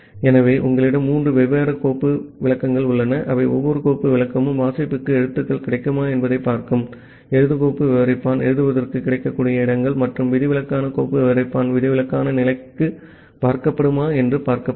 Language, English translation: Tamil, So, you have three different file descriptor that each file descriptor will be watched to see if characters become available for reading, the write file descriptor will be watched to see if the spaces available for write and the exceptional file descriptor will be watched for exceptional condition